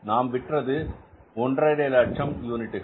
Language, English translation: Tamil, So, we have produced 160,000 units